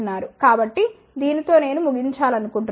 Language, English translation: Telugu, So, with this I would like to conclude